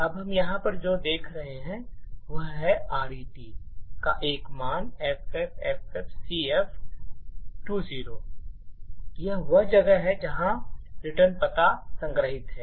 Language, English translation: Hindi, Now what we see over here is RET has a value FFFFCF20 and this corresponds to this location and this actually is where the return address is stored